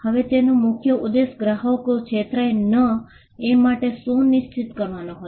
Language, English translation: Gujarati, Now, the main concern was to ensure that, people do not get defrauded